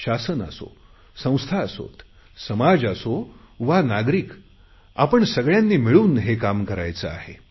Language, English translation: Marathi, Be it the government, institutions, society, citizens we all have to come together to make this happen